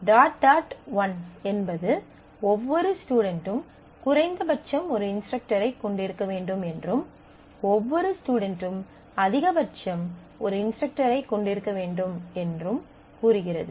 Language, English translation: Tamil, So, this one to one one, dot dot one says that every student must have at least one instructor, every student must have at most one instructor